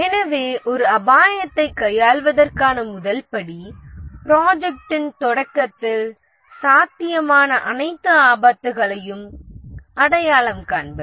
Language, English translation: Tamil, So, the first step in dealing with a risk is to identify all possible risk at the start of the project